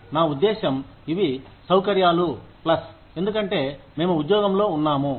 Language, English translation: Telugu, I mean, these are conveniences, plus, because, we are on job